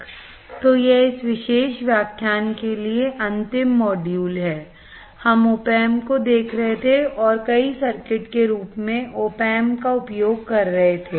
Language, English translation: Hindi, So, this is the last module for this particular lecture, we were looking at the opamp and using the opamp as several circuits